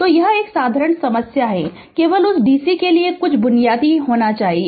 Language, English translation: Hindi, So, this is a simple problem only you have to little bit your what you call some basic to that dc